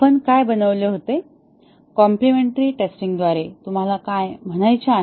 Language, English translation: Marathi, What we had made, what do you mean by complimentary testing